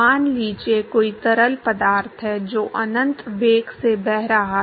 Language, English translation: Hindi, Supposing there is a fluid which is flowing at uinfinity velocity